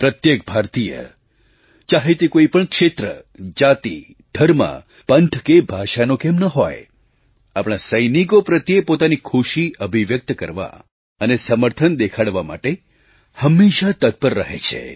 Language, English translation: Gujarati, Every Indian, irrespective of region, caste, religion, sect or language, is ever eager to express joy and show solidarity with our soldiers